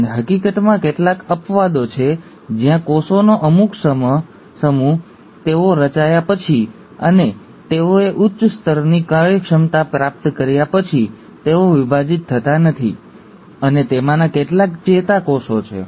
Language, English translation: Gujarati, And there are in fact, few exceptions where certain set of cells, after they have been formed and they have acquired high level of efficiency, they do not divide, and some of them are the nerve cells